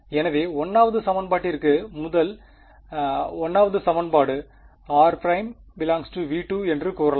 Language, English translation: Tamil, So, for the 1st equation where can a first 1st equation says r prime must belong to V 2 right